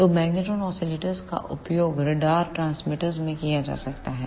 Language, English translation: Hindi, So, magnetron oscillators can be used in radar transmitters